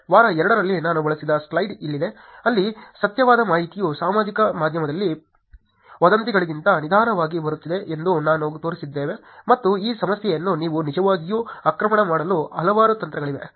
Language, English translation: Kannada, Here is a slide that I used in week 2, where we showed that the truthful information is coming into the social media slower than the rumours, and there are multiple techniques by which you can actually attack this problem